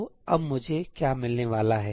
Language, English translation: Hindi, So, what am I going to get now